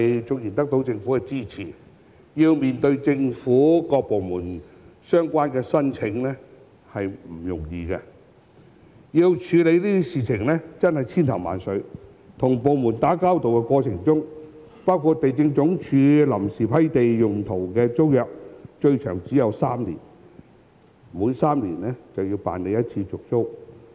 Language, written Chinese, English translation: Cantonese, 縱然得到政府的支持，要向政府各部門作出相關申請卻不容易，要處理的事亦是千頭萬緒，還要與各部門打交道，例如地政總署批出臨時土地用途的租約最長只有3年，即每3年要辦理續租一次。, Despite the fact that the proposal was supported by the Government it was not easy to make the relevant applications to various government departments . We had to attend to all sorts of things and have dealings with various departments . For instance the period of the tenancy granted by the Lands Department for temporary land use was only three years at most meaning that the tenancy had to be renewed every three years